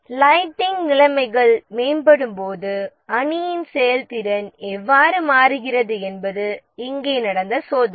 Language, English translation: Tamil, Here the idea was that how does the team performance change as the lighting conditions improve